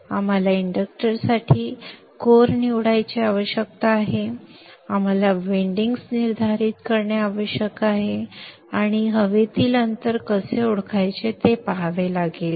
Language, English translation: Marathi, We need to choose the core for the inductor and we need to determine the windings and see how to introduce the air gap